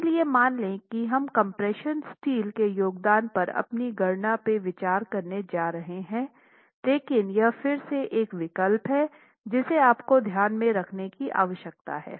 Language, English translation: Hindi, So assume that we are actually going to be considering the contribution of the compression steel in our calculations that you are going to see in a few minutes, but this is again a choice that you need to make